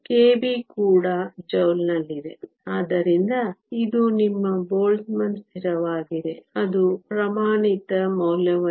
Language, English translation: Kannada, K b is also in joules, so it is your Boltzmann constant that has a standard value